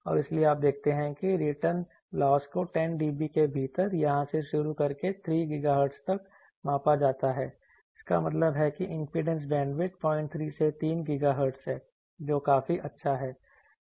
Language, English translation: Hindi, And so you see that with return loss is measured return loss you can see that within 10 dB starting from here to here up to 3 GHz that means impedance bandwidth is 0